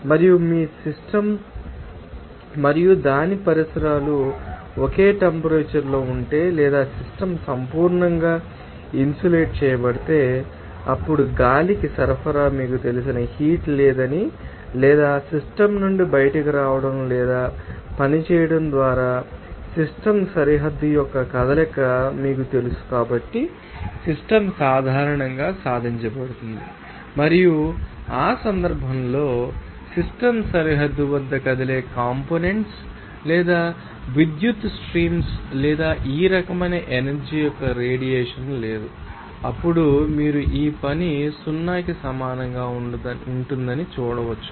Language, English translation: Telugu, And also if your system and its surroundings are at the same temperature or the system is perfectly insulated, then we can say that there is no heat you know supply to the air or to be coming out from the system and work done on or by the system is generally accomplished by you know movement of the system boundary and in that case, there are no moving parts or electrical currents or radiation of energy of this type at the system boundary, then you can see that this work will be equal to 0